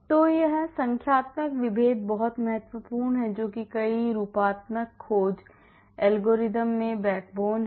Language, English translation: Hindi, So, this numerical differentiation is very important which is the backbone in many of the conformational search algorithms